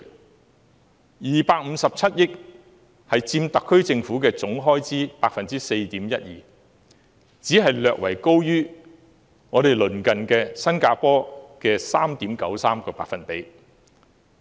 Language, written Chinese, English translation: Cantonese, 警務處的257億元預算，佔特區政府總開支的 4.12%， 只是略為高於鄰近的新加坡的 3.93%。, The estimate of the Police Force accounts for 4.12 % of the total expenditure of the SAR Government only slightly higher than the 3.93 % in neighbouring Singapore